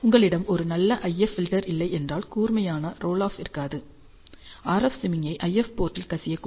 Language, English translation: Tamil, So, if you do not have a good IF filter, if you do not have a sharp rule of, the RF signal might leak into the IF port